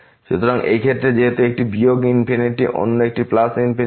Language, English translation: Bengali, So, in this case since one is minus infinity another one is plus infinity